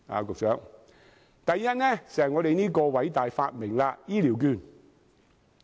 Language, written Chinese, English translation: Cantonese, 局長，第一，就是我們這個偉大發明——醫療券。, Secretary first it is our great invention―health care voucher scheme